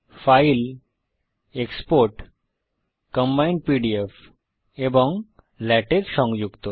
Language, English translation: Bengali, Let us export using combined pdf and latex files